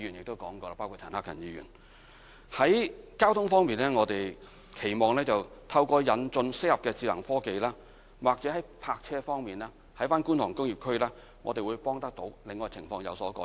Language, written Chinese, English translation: Cantonese, 在交通方面，我們期望透過引進適合的智能科技，或者可在泊車方面，幫助到觀塘工業區，令情況有所改善。, This has been mentioned by different Members including Mr CHAN Hak - kan On transportation we hope that with the introduction of appropriate smart technology the problem of car parking in Kwun Tong industrial area can be lessened